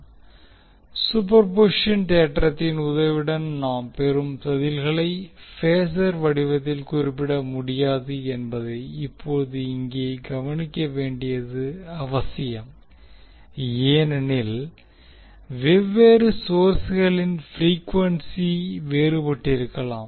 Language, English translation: Tamil, Now it is important to note here that the responses which we get with the help of superposition theorem cannot be cannot be mentioned in the form of phasor because the frequencies of different sources may be different